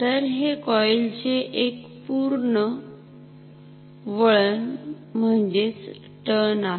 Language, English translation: Marathi, So, this is one complete turn of this coil ok